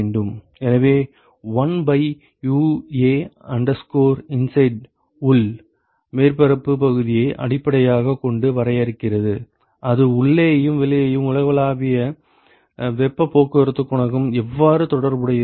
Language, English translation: Tamil, So, 1 by U U inside define based on the inside surface area that should be equal to how are the inside and the outside here universal heat transport coefficient related